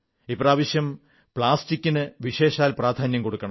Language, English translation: Malayalam, This time our emphasis must be on plastic